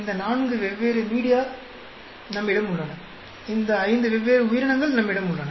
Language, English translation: Tamil, We have these four different media, we have these five different organisms